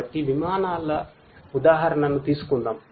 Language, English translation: Telugu, So, let me just take an example of aircrafts